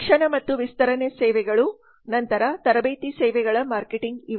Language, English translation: Kannada, education and extension services then there are training services marketing